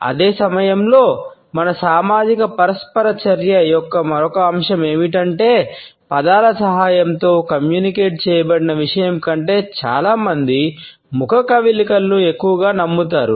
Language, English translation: Telugu, At the same time another aspect of our social interaction is the fact that most people believe the facial expression more than the content which has been communicated with the help of words